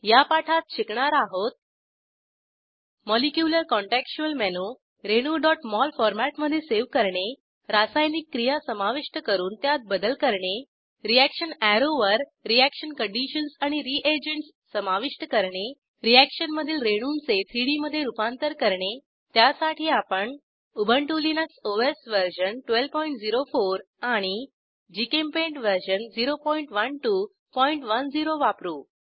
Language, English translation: Marathi, In this tutorial, we will learn about, * Molecular contextual menu * Save the molecule in .mol format * Add and edit a reaction * Add reaction conditions and reagents on the reaction arrow * Convert reaction molecules into 3D For this tutorial I am using Ubuntu Linux OS version 12.04